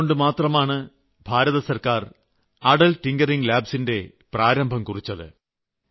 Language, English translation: Malayalam, And that is why the Government of India has taken the initiative of 'Atal Tinkering Labs'